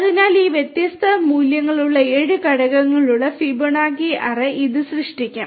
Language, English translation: Malayalam, So, this one will create a seven element Fibonacci array having these different elements over here